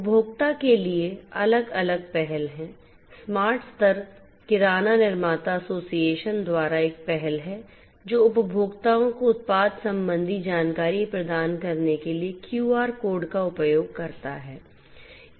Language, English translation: Hindi, For the consumer there are different initiatives smart level is an initiative by the Grocery Manufacturers Association GMA, which uses your quote to provide product related information to the consumers